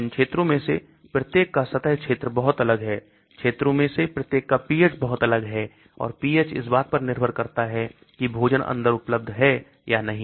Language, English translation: Hindi, Now the surface area of each of these regions are very different, the pH of each of these regions are very different and the pH changes depending upon whether food is available inside or not